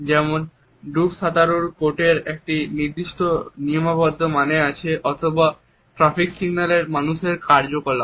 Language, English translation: Bengali, For example, the underwater swimmers coat has a particular codified meaning or for example, or traffic signal persons actions